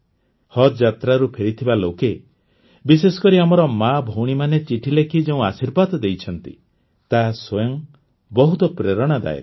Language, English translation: Odia, The blessing given by the people who have returned from Haj pilgrimage, especially our mothers and sisters through their letters, is very inspiring in itself